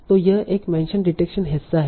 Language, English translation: Hindi, So that is the mention detection part